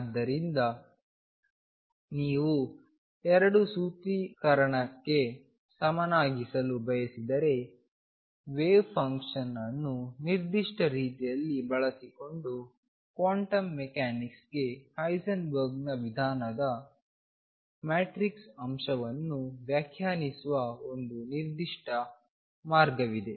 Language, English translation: Kannada, So, if you want to have the 2 formulism equivalent then there is a particular way of defining the matrix elements of Heisenberg’s approach to quantum mechanics using the wave function in a very particular way and that way is now called through operators